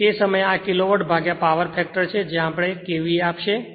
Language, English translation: Gujarati, So, at that time, if I because this is Kilowatt divided by power factor will give you KVA right